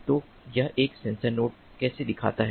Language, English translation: Hindi, so this is how a sensor node looks like